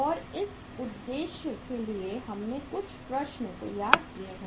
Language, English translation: Hindi, And for this purpose uh we have some problems we have prepared some problems